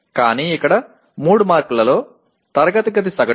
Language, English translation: Telugu, But here out of 3 marks the class average is 2